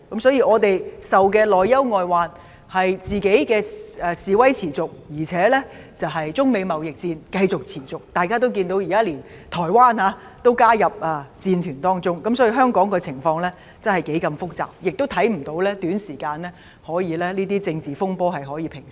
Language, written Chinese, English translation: Cantonese, 所以，我們遭受的內憂外患是本地示威持續，加上中美貿易戰持續，而大家也看到，現在連台灣也加入戰團當中，可見香港的情況是多麼複雜，我們亦看不到這些政治風波可以在短期內平息。, Therefore we are caught in both internal and external troubles caused by the ongoing protests locally and the continued trade war between China and the United States and Members can see that even Taiwan has entered the fray too . So we can see how complicated the situation of Hong Kong is and we do not see how these political unrests can be calmed in a short time